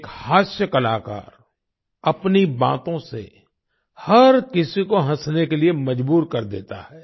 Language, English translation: Hindi, A comedian, with his words, compelles everyone to laugh